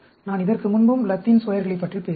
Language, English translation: Tamil, I talked about Latin Squares before also